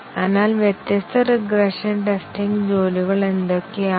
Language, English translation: Malayalam, So, what are the different regression testing tasks